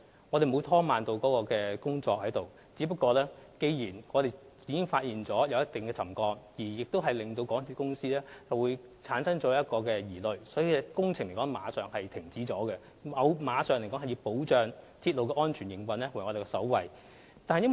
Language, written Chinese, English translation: Cantonese, 我們沒有拖慢工作，只是在發現橋躉有一定程度沉降後，港鐵公司有所疑慮，故有關工程馬上停止，因為保障港鐵安全營運為我們首要的考慮。, We called for the immediate suspension of the relevant works as soon as we found the settlement level a bit alarming because safeguarding the safe operation of MTRCL is always our top priority